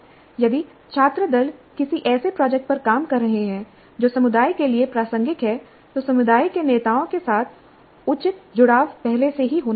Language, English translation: Hindi, If the student teams are working on a project that is relevant to the community, then proper engagement with the community leaders must happen well in advance